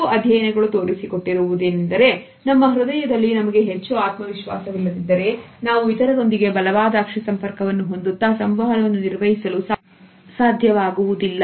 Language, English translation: Kannada, Studies have also shown us that sometimes we may not feel very confident in our heart, but at the same time we are able to manage a strong eye contact with others